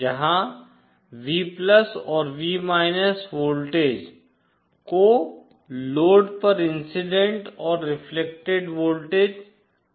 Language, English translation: Hindi, Where say, V+ and V are the voltages are the incident and reflected voltages at the load